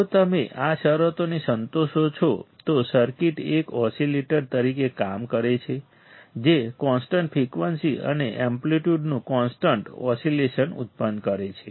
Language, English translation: Gujarati, If you satisfy these conditions the circuit works as an oscillator producing sustained oscillation of constant frequency and amplitude